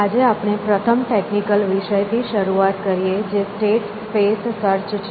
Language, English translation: Gujarati, So, today we start with first technical topic and that is state space search